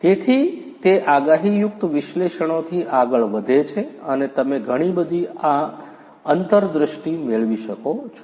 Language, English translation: Gujarati, So, it goes beyond the predictive analytics and you can get a lot of different insights